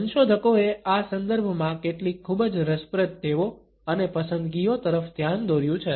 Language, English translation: Gujarati, Researchers have pointed out some very interesting habits and preferences in this context